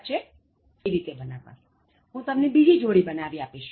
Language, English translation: Gujarati, Because I know how to make shoes myself and if you have any complaint, I can make another pair of shoes